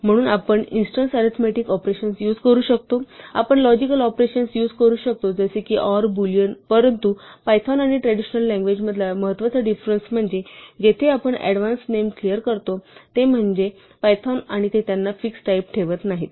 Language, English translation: Marathi, So, we can use for instance arithmetic operations on numeric types, we can use logical operations like and, or, and not on Boolean types, but the important difference between python and traditional languages where we declare names in advance is that python does not fix types for names